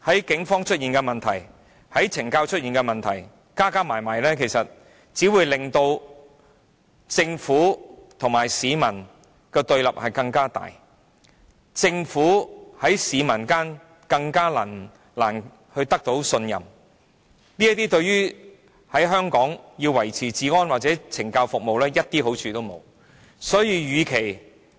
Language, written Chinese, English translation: Cantonese, 警隊加上懲教署的問題，只會令政府和市民變得更對立，令政府更難取得市民信任，這對於維持治安及懲教服務而言，沒有半點好處。, The problems with the Police and CSD will only increase the hostility between the Government and people and make it more difficult for the Government to gain peoples trust . This is simply no good to maintaining law and order and correctional services